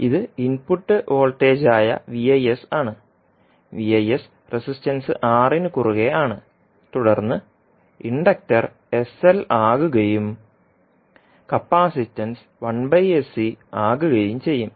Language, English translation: Malayalam, So this is Vis that is input voltage, V naught s is across the resistance R and then the Inductor will become sl and the capacitance will be 1 by sC